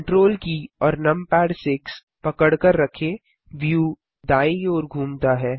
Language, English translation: Hindi, Hold Ctrl numpad 6 the view pans to the right